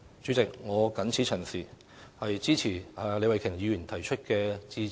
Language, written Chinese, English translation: Cantonese, 主席，我謹此陳辭，支持李慧琼議員提出的致謝議案。, With these remarks President I support the Motion of Thanks moved by Ms Starry LEE